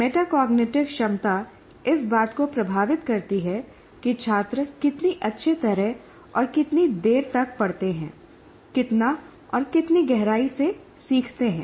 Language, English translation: Hindi, So metacognitive ability affects how well and how long students study, how much and how deeply the students learn